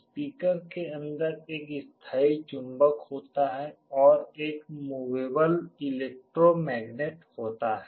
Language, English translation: Hindi, Inside a speaker there is a permanent magnet and there is a movable electromagnet